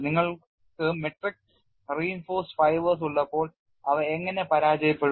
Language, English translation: Malayalam, When you have a matrix reinforced by fibers, how do they fail